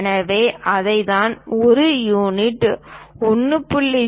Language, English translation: Tamil, So, that is what we are showing here as 1 unit 1